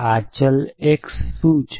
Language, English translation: Gujarati, What is the nature of this variable x